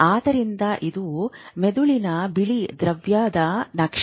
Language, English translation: Kannada, So, this is the map of the white matter of the brain